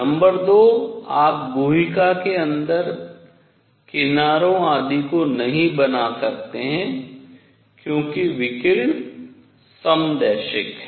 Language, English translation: Hindi, Number 2; you cannot make out the edges, etcetera, inside the cavity because the radiation is isotropic